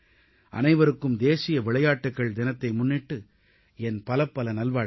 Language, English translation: Tamil, Many good wishes to you all on the National Sports Day